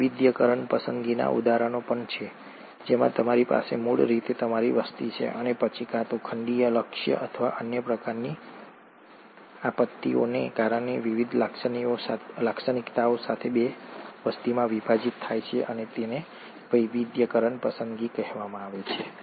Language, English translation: Gujarati, There are also examples of diversifying selection wherein you have originally your population, and then either because of a continental drift, or some other kind of catastrophe, this gets split into two populations with different characteristics and that is called as the diversifying selection